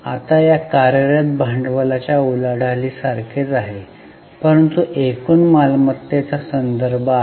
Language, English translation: Marathi, Now this is similar to this working capital turnover but this refers to the total assets